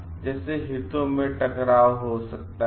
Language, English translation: Hindi, So, which could be a conflict of interest